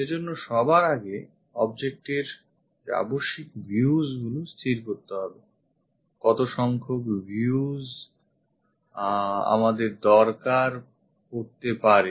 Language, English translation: Bengali, For that first of all we have to decide the necessary views of the object, how many views we might be requiring